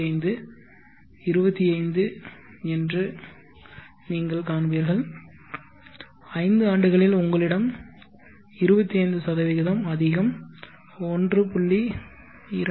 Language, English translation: Tamil, 25, 25 in five years you have 25% more, 1